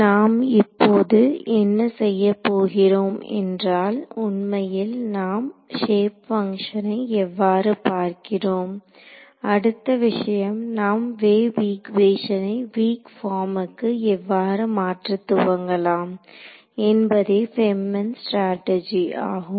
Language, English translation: Tamil, So now what we will do is we look at how do we actually we have looked at the shape functions, the next thing we have to see is the start with the wave equation go to the weak form that is the strategy of FEM right